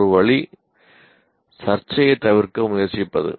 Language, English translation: Tamil, One way is to try to avoid the controversy